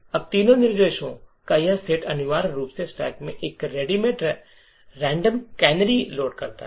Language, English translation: Hindi, Now this set of three instructions essentially loads a random canary into the stack